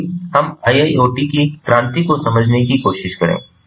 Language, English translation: Hindi, so let us try to understand the evolution of iiot